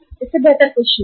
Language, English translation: Hindi, There is nothing better than this